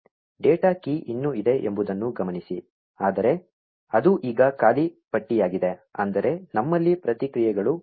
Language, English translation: Kannada, Notice that the data key is still present, but it is an empty list now, meaning we have run out of responses